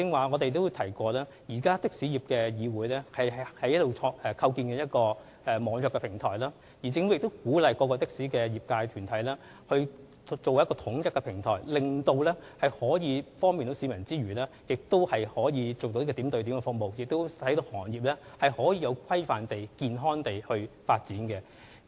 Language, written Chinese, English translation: Cantonese, 我剛才也提到，香港的士業議會正在構建一個網約平台，而政府亦鼓勵各的士業界團體建立平台，這既可以方便市民，又可以提供點對點服務，更能令的士行業有規範和健康地發展。, As I mentioned earlier on while the Hong Kong Taxi Trade Council is developing an e - hailing platform the Government has also encouraged various taxi trades to build a platform to facilitate members of the public and provide point - to - point service so that the taxi trades can develop in a regulated and healthy manner